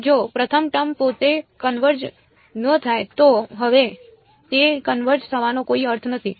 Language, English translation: Gujarati, So, if the first term itself does not converge there is no point going for that now its not going to converge